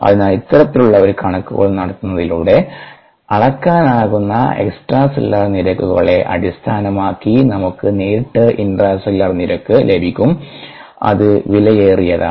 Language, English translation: Malayalam, so just by doing this kind of a manipulation, we directly get the intracellular rates based on the extracellular rates that can be measured